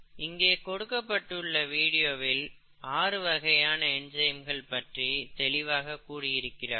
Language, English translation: Tamil, This video, this is optional clearly this gives you the six types of enzymes